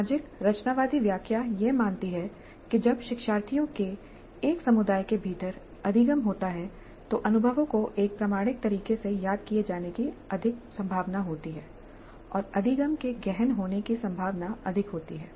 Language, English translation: Hindi, So the social constructivist interpretation assumes that when the learning occurs within a community of learners the experiences are more likely to be recollected in an authentic fashion and learning is more likely to be deep